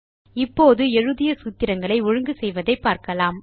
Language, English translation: Tamil, Now let us learn how to format the formulae we wrote